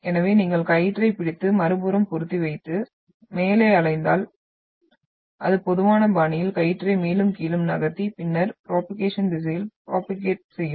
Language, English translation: Tamil, So if you hold the rope and fix on the other side and wave up, so it will travel in a very typical fashion moving the rope up and down and then propagate in the direction of propagation